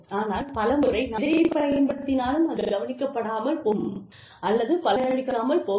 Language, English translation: Tamil, And, but many times, whatever we use, either goes unnoticed, or does not yield, very tangible results